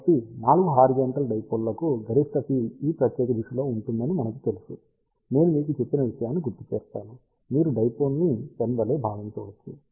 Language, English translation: Telugu, So, 4 horizontal dipole we know that maximum field will be in this particular direction just recall I have mentioned to you, that you can think about a dipole as a pen